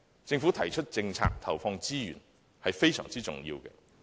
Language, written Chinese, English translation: Cantonese, 政府提出政策，並投放資源，是非常重要的。, It is most important for the Government to propose policies and inject resources